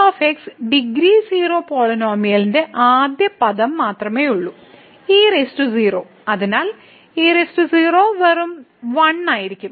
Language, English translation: Malayalam, So, the the degree 0 polynomial only the first term will be present there and power 0, so power 0 will be just 1